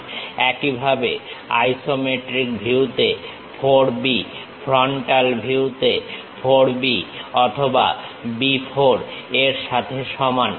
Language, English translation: Bengali, Similarly, 4 B in the isometric view is equal to 4 B or B 4 in the frontal view